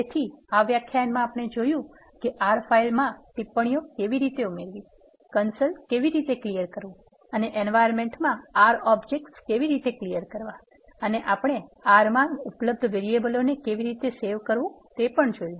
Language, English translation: Gujarati, So, in this lecture we have seen how to add comments to R file, how to clear the console and how to clear the R objects that are there in the environment and also we have seen how to save the variables that are available in the R environment for further use